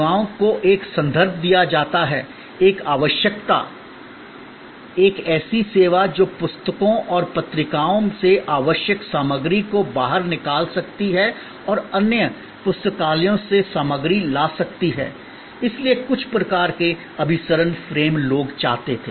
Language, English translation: Hindi, Services like given a reference, given a requirement, a service which can pull out necessary material from books and from journals and can bring material from other libraries, so some sort of convergent frame people wanted